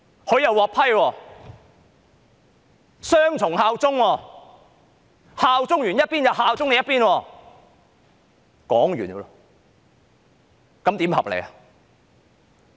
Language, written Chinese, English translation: Cantonese, 她是雙重效忠，效忠這一邊後又效忠另一邊，這樣合理嗎？, This is dual allegiance as she has simultaneously borne allegiance to two places . Is this reasonable?